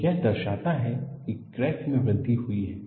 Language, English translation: Hindi, So, this indicates that crack has grown